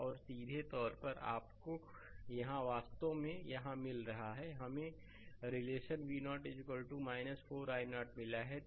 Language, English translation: Hindi, And directly you are get a here actually here, we have got the relation V 0 is equal to minus 4 i 0